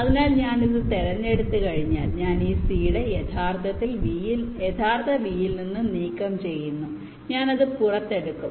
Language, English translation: Malayalam, so once i select this one, i remove this seed from the original v